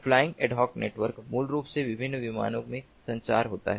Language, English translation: Hindi, flying ad hoc networks, basically the communication takes place in different planes